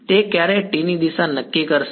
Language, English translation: Gujarati, When will it what determines the direction of t